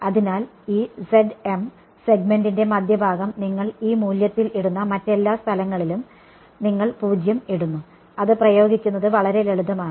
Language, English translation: Malayalam, So, that z m which is the centre of this segment you put in this value all other places you put 0 that is it very simple to apply ok